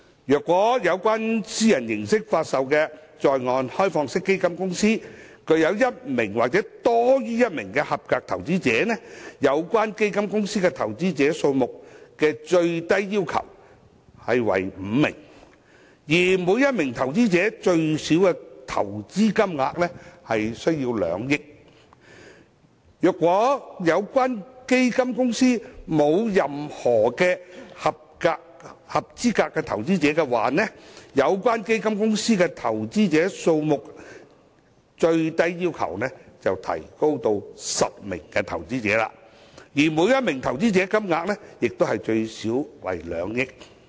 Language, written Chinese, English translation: Cantonese, 如以私人形式發售的在岸開放式基金公司具有一名或多於一名"合資格投資者"，有關基金公司的投資者數目下限為5名，而每名合資格投資者需投資最少2億元；如有關基金公司沒有任何"合資格投資者"，該基金公司的投資者數目最低要求便提高至10名，而每名投資者投資金額最少為 2,000 萬元。, For example where an onshore privately offered OFC has one or more than one qualified investor the minimum number of investors in the OFC is five and each eligible investor has to invest at least 200 million; and where the OFC has no qualified investor the minimum number of investors required is raised to 10 and each investor has to invest at least 20 million . With regard to the requirements for the NCH condition the authorities have made a distinction between fund companies with qualified investor and those with no qualified investor